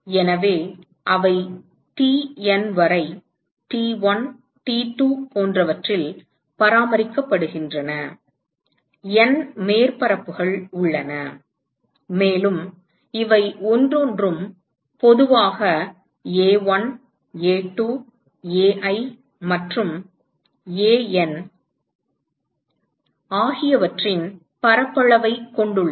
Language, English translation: Tamil, So, we have let us say they are maintained at T1, T2 etcetera up to TN, there are N surfaces, and each of these have a surface area of A1, A2, Ai and AN in general